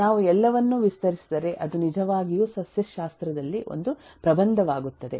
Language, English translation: Kannada, if I expand it all, then it will really become an essay in botany